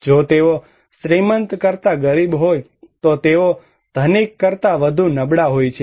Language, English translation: Gujarati, If they are poor than rich, they are more vulnerable than rich